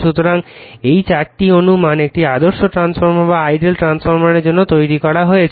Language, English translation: Bengali, So, these are the 4 assumptions you have made for an ideal transformer